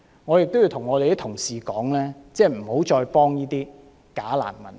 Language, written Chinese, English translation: Cantonese, 我亦要向同事說，不要再幫助這些假難民。, Besides I wish to urge Members not to defend these bogus refugees anymore